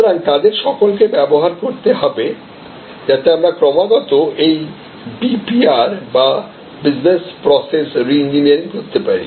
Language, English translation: Bengali, So, all those need to be deployed, so that we are constantly doing this BPR or Business Process Reengineering